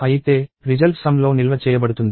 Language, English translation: Telugu, So, however, the result is stored in a sum